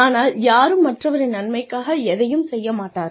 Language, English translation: Tamil, Come on, nobody does anything, for anyone else's benefit